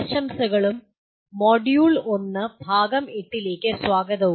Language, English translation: Malayalam, Greetings and welcome to the Module 1 and Unit 8